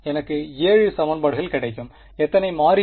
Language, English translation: Tamil, I will get 7 equations; in how many variables